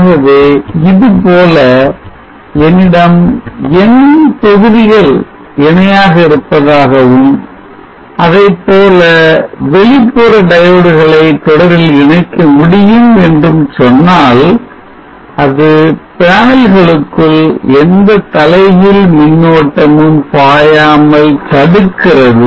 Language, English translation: Tamil, So let us say I have n modules in parallel like this and we can connect external diodes in series like this, such that it blocks any reverse current flowing into the panels